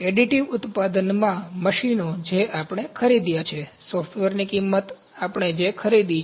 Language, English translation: Gujarati, Additive manufacturing machines, those we have purchased, the cost of the software, those we have purchased